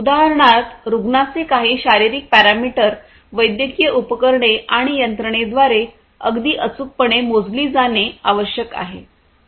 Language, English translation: Marathi, So, some physiological parameter of a patient, for example, has to be measured very accurately by different medical devices and systems